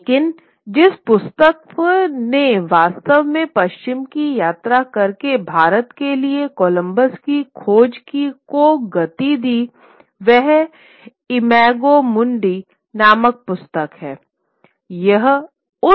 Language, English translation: Hindi, But the book that really triggered Columbus's search for India by traveling westwards was a book called Imajo Mundi